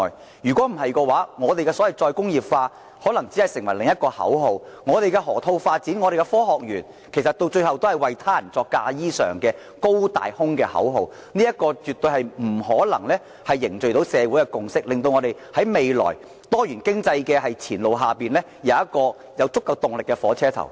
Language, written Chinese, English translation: Cantonese, 不然，所謂的再工業化，只會成為另一個口號，而我們的河套發展和科學園，到最後也只會變成替他人作嫁衣裳的"高大空"口號，這絕對不可能凝聚社會共識，為我們未來多元經濟進程提供足夠動力的火車頭。, Otherwise the so - called re - industrialization will merely become another watchword while the Development of Lok Ma Chau Loop and the Science Park will eventually become a grand slogan used by others as stepping stones . Not consensus can be reached in society under such circumstances nor can we create sufficient impetus for a diversified economy in the future